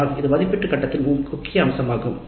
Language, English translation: Tamil, So that is the important aspect of the evaluate phase